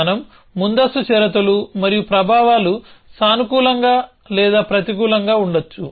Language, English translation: Telugu, We will say preconditions and effects and effects can be positive or negative